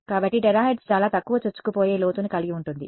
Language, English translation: Telugu, So, terahertz of course, has much less penetration depth